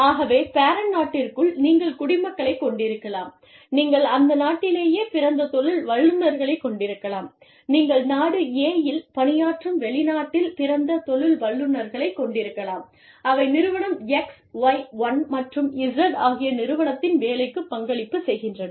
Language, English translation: Tamil, So, within the parent country, you could have citizens, you could have native born professionals, you could have foreign born professionals, serving in Country A, that are contributing to the working of, the Firm X, that are contributing to the working of Firm Y1, that are contributing to the working of Firm Z